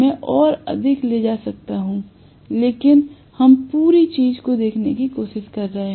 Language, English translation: Hindi, I could have taken more, but we are just trying to look at the whole thing